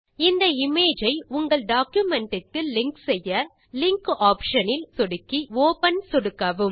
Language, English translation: Tamil, To link the image to your document, check the Linkoption and click Open